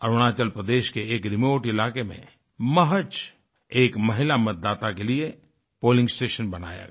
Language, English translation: Hindi, In a remote area of Arunachal Pradesh, just for a lone woman voter, a polling station was created